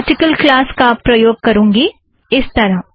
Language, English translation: Hindi, I will use the article class as follows